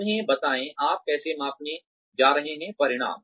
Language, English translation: Hindi, Tell them, how you are going to measure, the outcomes